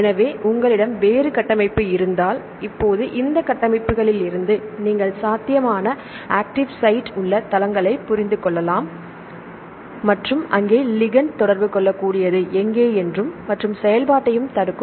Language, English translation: Tamil, So, if you have a different structure right, now from this structures you can understand the probable active sites and where ligands can interact as well as inhibit the activity